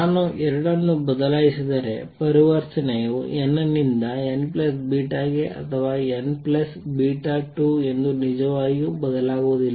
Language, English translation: Kannada, If I switch the 2, right, it does not really change whether transition is from n to n plus beta or n plus beta 2 beta